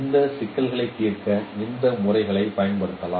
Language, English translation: Tamil, Those methods could be used for solving this problem